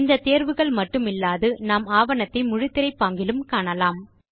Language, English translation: Tamil, Apart from both these options, one can also view the document in full screen mode